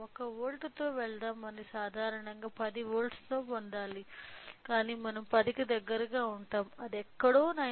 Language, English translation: Telugu, So, let us go with 1 volt it should generally get 10 volts, but we will get close to 10 which is somewhere around 9